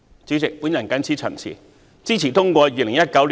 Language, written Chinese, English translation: Cantonese, 主席，我謹此陳辭，支持通過《條例草案》。, With these remarks President I support the passage of the Bill